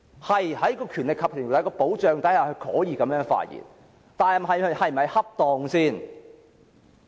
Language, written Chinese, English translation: Cantonese, 對，在《條例》保障下，他可以這樣發言，但這是否恰當？, Yes under the umbrella of the Ordinance he could say so but was it appropriate?